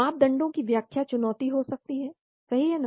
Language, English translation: Hindi, Interpretation of parameters can be challenging right